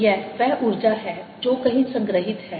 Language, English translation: Hindi, this is the energy which is stored somewhere